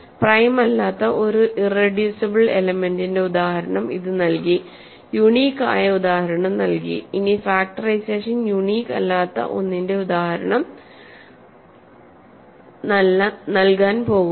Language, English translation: Malayalam, It gave us an example of an irreducible element which is not prime, it gave us an example of it was going to give us an example of something which where unique, factorization is not unique